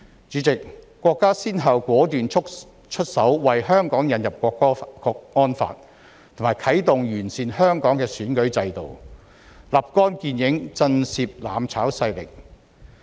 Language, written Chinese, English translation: Cantonese, 主席，國家先後果斷出手，為香港引入《香港國安法》和完善香港選舉制度，立竿見影，震懾"攬炒"勢力。, President our country has taken decisive steps one after another namely introducing the National Security Law for Hong Kong and improving Hong Kongs electoral system which have achieved immediate results and become a powerful deterrent to those seeking mutual destruction